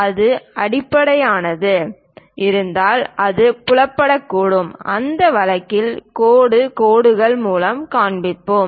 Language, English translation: Tamil, If it is transparent, it might be visible; in that case, we will show it by dashed lines